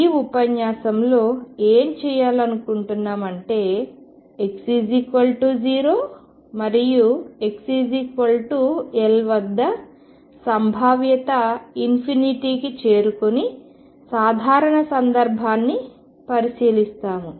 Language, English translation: Telugu, What you want to do in this lecture is go to a general case where the potential does not go to infinity at x equals 0 and x equals L